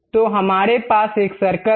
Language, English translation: Hindi, So, we have a curve